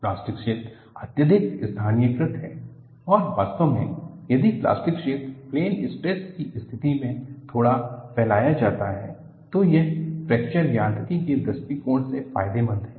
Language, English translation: Hindi, The plastic zone is highly localized and in fact, if the plastic zone is slightly spread as in a plane stress condition, it is beneficial from Fracture Mechanics point of view